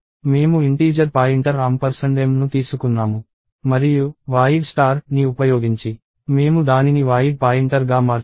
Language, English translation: Telugu, We took integer pointer ampersand m and we converted that to void pointer using this bracket void star